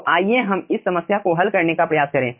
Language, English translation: Hindi, so let us try to solve this problem